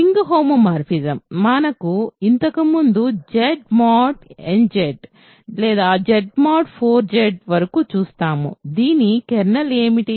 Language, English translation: Telugu, So, the ring homomorphism, that we looked at earlier Z to Z mod 4 Z, what is the kernel of this